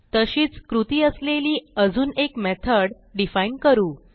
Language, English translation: Marathi, We will define one more method with same opearation